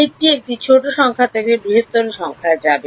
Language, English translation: Bengali, The direction is from a smaller number to a larger number